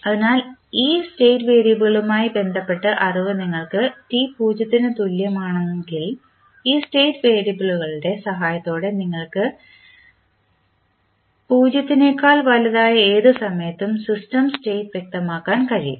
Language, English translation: Malayalam, So, if you have knowledge for related to this state variable at time t is equal to 0 you can specify the system state for any time t greater than 0 with the help of these state variables